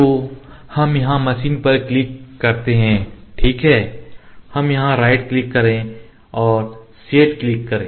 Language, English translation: Hindi, So, we click on the machine here ok, we right click here and click set